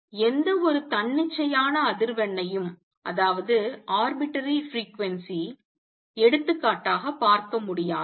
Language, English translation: Tamil, So, any arbitrary frequency cannot be seen for example